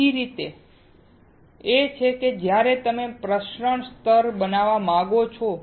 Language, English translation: Gujarati, Another way is when you want to create the diffusion layer